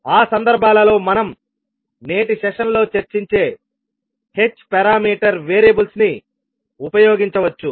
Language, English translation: Telugu, So in those cases we can use the h parameter variables which we will discuss in today's session